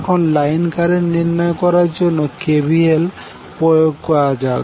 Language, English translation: Bengali, Now let us apply KVL to find out the line current